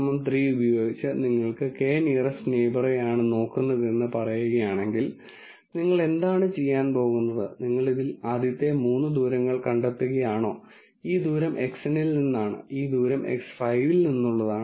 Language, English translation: Malayalam, If let us say you are looking at k nearest neighbors with k equal to 3, then what you are going to do, is you are going to find the first three distances in this and this distance is from X n, this distance is from X 5 and this distance is from X 3